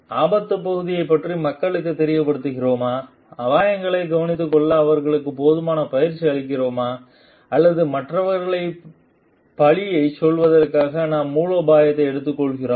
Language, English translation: Tamil, And have we made people aware of the risk part have we trained them enough to take care of the risks or we are taking the strategy just to pass out the blame from other from us